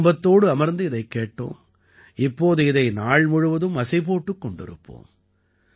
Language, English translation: Tamil, We listened to everything sitting with family and will now hum it throughout the day